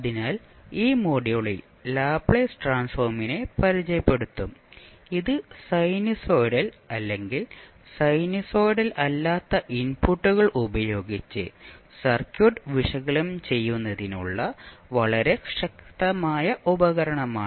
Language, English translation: Malayalam, So in this module we will be introduced with the Laplace transform and this is very powerful tool for analyzing the circuit with sinusoidal or maybe the non sinusoidal inputs